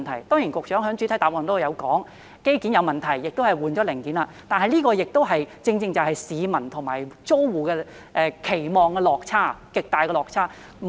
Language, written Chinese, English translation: Cantonese, 當然，局長在主體答覆中已提到，是機件問題，亦已更換零件，但這亦正是市民和租戶的期望的落差、極大的落差。, Of course the Secretary has already mentioned in the main reply that it is a mechanical problem and the components have been replaced . However this is also precisely the disappointment a very great one indeed felt by the public and the tenants regarding their expectations